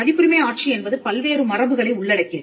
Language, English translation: Tamil, Now, copyright regime in itself comprises of various conventions